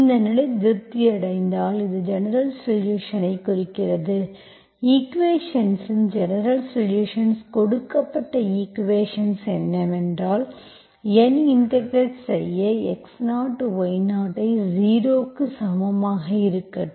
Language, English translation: Tamil, This implies the general solution is, general solution of the equation, the given equation is, what is N, integral, I fix my x0, y0 as 0, 0